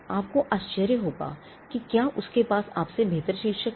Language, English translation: Hindi, You may wonder whether he has a better title than you